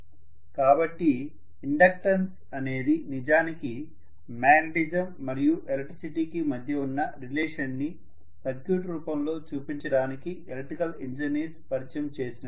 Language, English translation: Telugu, So inductance actually is a construct of human beings or electrical engineers who want to depict the relationship between magnetism and electricity in the form of a circuit